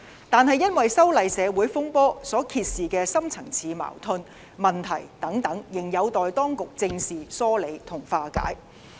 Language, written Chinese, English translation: Cantonese, 但是，因為修例社會風波所揭示的深層次矛盾和問題等仍有待當局正視、疏理和化解。, However the deep - seated conflicts and problems exposed during the anti - extradition saga remain to be taken seriously to be sorted out and to be resolved by the Government